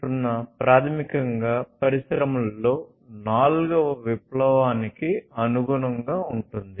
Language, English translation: Telugu, 0 basically corresponds to the fourth revolution in the industries